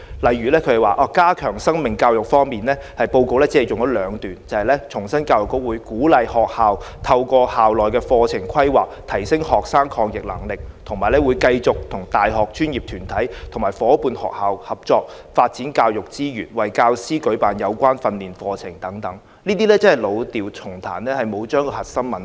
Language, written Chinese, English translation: Cantonese, 例如，在加強生命教育方面，報告只有短短兩段，只重申教育局會"鼓勵學校透過校內課程規劃，提升學生的抗逆能力"，以及"會繼續與大學、專業團體及伙伴學校合作，發展教學資源，並為教師舉辦有關的培訓活動"等，這只是老調重彈，沒有處理核心問題。, For example in the report only two paragraphs were dedicated to the strengthening of life education to reiterate things like schools will be encouraged to enhance students resilience in their school - level curriculum planning and EDB will continue collaborating with universities professional bodies and partner schools for developing learning and teaching resources and organizing related training programmes for teachers . The Government is simply playing the same old tune and fails to address the core issue